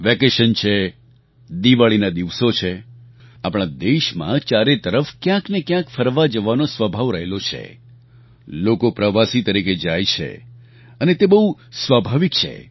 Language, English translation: Gujarati, There are vacations, Diwali is drawing near, all around in our country, there is an inclination to travel to some place or the other; people go as tourists and it is very natural